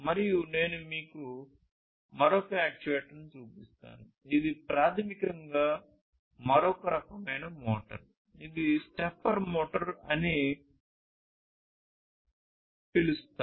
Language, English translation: Telugu, And let me show you another actuator which is basically another type of motor which is known as the stepper motor